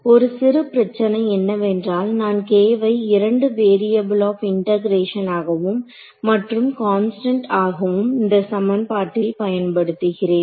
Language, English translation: Tamil, So, the slight the slight problem over here is that I am using k as both a variable of integration and the constant k in the equation